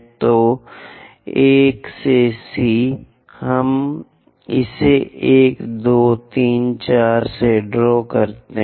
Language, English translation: Hindi, So, C to 1, let us draw it 1, 2, 3, 4